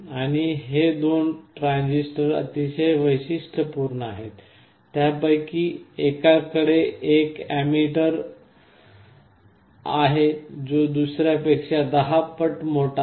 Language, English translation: Marathi, And these two transistors are very peculiar, one of them has an emitter which is 10 times larger than the other